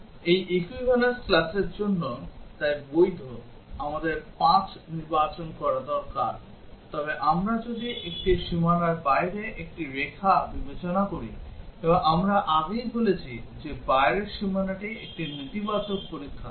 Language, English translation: Bengali, So valid for this equivalence class, we need to select 5, but if we consider the one line outside a boundary, and as we said earlier that outside boundary is a negative test case